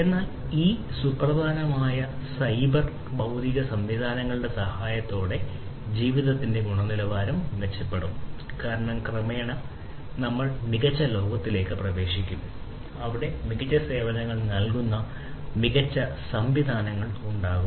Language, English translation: Malayalam, But what is important is with the help of these critical, you know, these cyber physical systems the quality of life will be improved because gradually we will be getting into smarter world, where there will be smarter systems offering smarter services smarter services